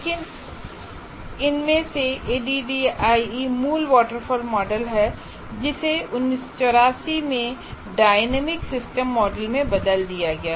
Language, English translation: Hindi, But ADI from its original waterfall model changed to dynamic system model in 1984